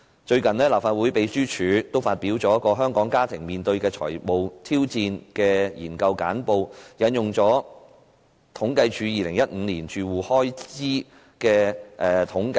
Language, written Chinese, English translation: Cantonese, 最近，立法會秘書處發表有關"香港家庭面對的財務挑戰"的研究簡報，並引用政府統計處2015年住戶開支統計調查結果。, Recently the Legislative Council Secretariat has released a Research Brief on Financial challenges faced by households in Hong Kong which quoted the findings in the household expenditure survey released by the Census and Statistics Department in 2015